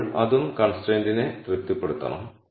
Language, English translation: Malayalam, Then that also has to satisfy the constraint